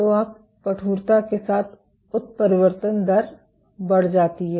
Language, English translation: Hindi, So, you have mutation rate increases with stiffness